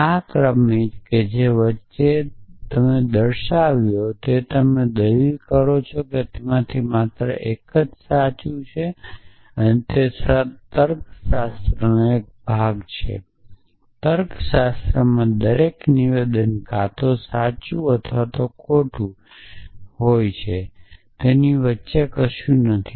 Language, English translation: Gujarati, So, this sequence which has slipped in between if you argue that one only one of them is true is essentially a part of classical logic in classical logic every statement is either true or false and there is nothing in between